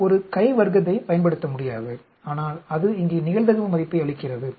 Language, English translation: Tamil, We cannot use a chi square, but it gives a probability value here